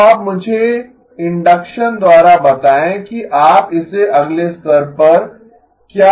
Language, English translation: Hindi, Now you tell me by induction what can you take it to the next level